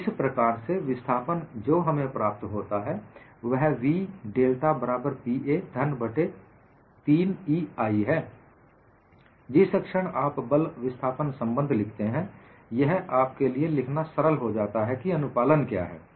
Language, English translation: Hindi, So, the displacement what we get as v equal to 2Pa cube by 3EI, the moment you write force displacement relationship, it is easier for you to write what is the compliance